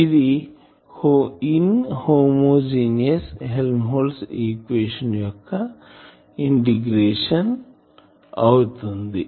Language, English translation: Telugu, This is the integration of in homogeneous Helmholtz equation